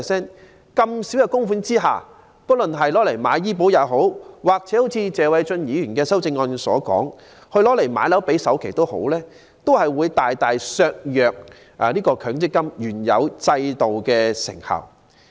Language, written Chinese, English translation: Cantonese, 在這麼少的供款額下，不論用作購買醫療保險，或如謝偉俊議員的修正案所述，用作首次置業首期，均會大大削弱強積金原有制度的成效。, Such a small amount of money from the contributions when taken out to purchase medical insurance or pay the down payment for a starter home as advocated by Mr Paul TSE in his amendment to the motion would greatly undermine the effectiveness of the MPF System